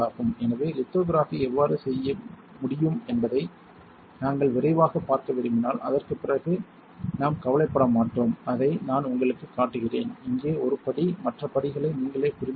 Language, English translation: Tamil, So, we do not bother after that if we want to quickly see how lithography can be done, I will just show it to you, here one step so, that you understand other steps by yourself